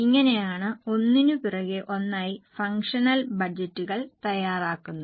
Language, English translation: Malayalam, Getting it, this is how one after another functional budgets are prepared